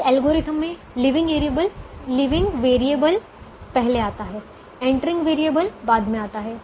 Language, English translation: Hindi, in this algorithm the leaving variable is first, the entering variable comes later